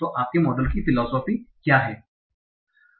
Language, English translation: Hindi, So what is the philosophy of your model